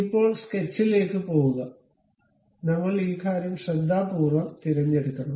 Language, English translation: Malayalam, Now, go to sketch, we have to carefully select this thing ok